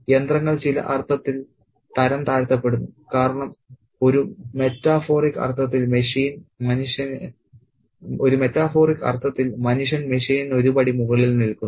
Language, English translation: Malayalam, And machines are degraded in some sense because the human being gets on top of the machine in a metaphoric sense